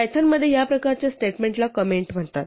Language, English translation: Marathi, So in python, this kind of a statement is called a comment